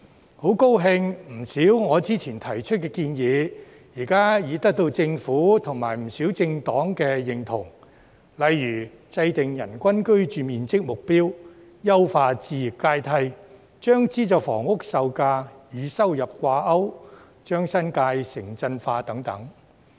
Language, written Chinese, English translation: Cantonese, 我很高興，我之前提出的不少建議，現已得到政府及不少政黨的認同，例如制訂人均居住面積目標、優化置業階梯、將資助房屋售價與收入掛鈎、將新界城鎮化等。, I am really glad that many of my previous proposals have now received endorsements from the Government and a number of political parties for example formulating a standard for the average living space per person enhancing the home ownership ladder linking the sale prices of subsidized housing to income urbanizing the New Territories and so on